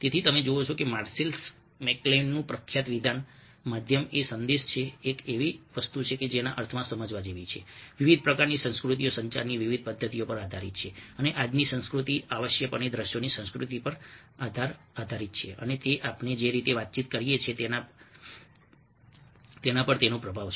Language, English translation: Gujarati, so you see that ah marcel mcclains ah famous statement, the medium is the message is something which ah is to be understood in the sense that different kinds of cultures depend on different modes of communication, and todays culture essentially depends on the culture of ah visuals, and that has its influence in the way we communicate